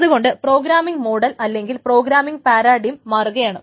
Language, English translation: Malayalam, So that is why the programming model or the programming paradigm needs to change